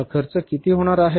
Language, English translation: Marathi, This expenses are going to be how much